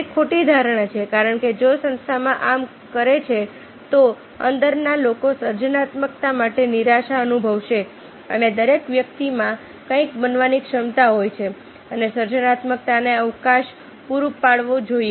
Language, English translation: Gujarati, it is a false notion because if the organization does so, then the insiders will feel de motivated for creativity and everybody has the ability to create something and the scope must be provided for creativity